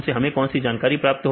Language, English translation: Hindi, What is the information we get